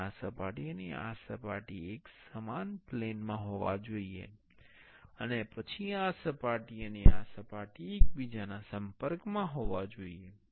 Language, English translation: Gujarati, And this surface and this surface should be in the same plane, and then this surface and this surface should be in touch with each other